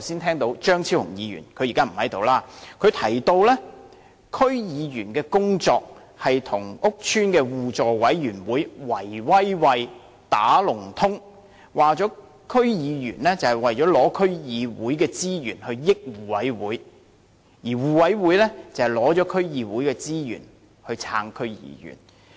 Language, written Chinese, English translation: Cantonese, 例如張超雄議員——他現在不在席——我剛才聽到他指區議員在工作上與屋邨的互助委員會"圍威喂"、"打龍通"，說區議員旨在拿取區議會的資源，令互委會獲益，而互委會則利用從區議會獲取的資源來支持區議員。, For example just now I heard Dr Fernando CHEUNG―now he is not present―claim that DC members practised cronyism at work and colluded with mutual aid committees in the housing estates alleging that DC members sought to obtain resources from DCs to benefit mutual aid committees while mutual aid committees exploited the resources obtained from DCs to support DC members in return